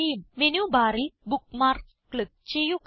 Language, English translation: Malayalam, From the Menu bar, click on Bookmarks